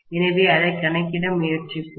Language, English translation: Tamil, So let’s probably try to account for it, okay